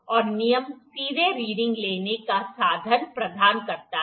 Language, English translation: Hindi, And the rule provides the means of directly taking the readings